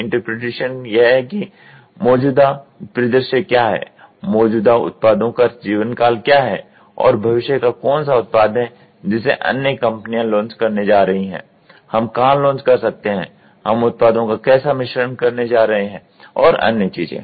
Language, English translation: Hindi, Interpretation is what is the existing scenario what is the existing products lifetime and what is the futuristic product which other companies are going to launch, where can we launch, how are we going to blend and other things